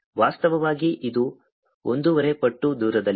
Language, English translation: Kannada, in fact it's one and a half times farther